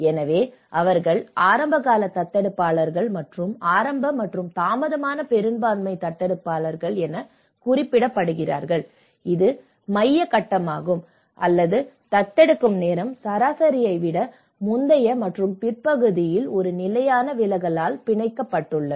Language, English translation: Tamil, so these are referred as early adopters and early and late majority adopters which is the central phase, or the individuals whose time of adoption was bounded by one standard deviation earlier and later than the average